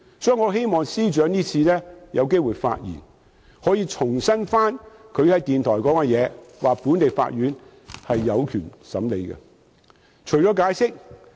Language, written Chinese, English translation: Cantonese, 所以，我希望司長今天發言時重申他在電台的說話，即本地法院將有權審理。, Therefore I hope the Secretary will reiterate today the remarks he made on the radio and that is local courts will have jurisdiction over the matter